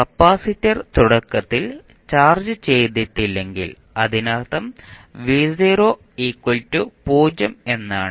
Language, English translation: Malayalam, If capacitor is initially uncharged that means that v naught is 0